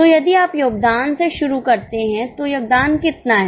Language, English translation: Hindi, So, if you start from contribution, how much is a contribution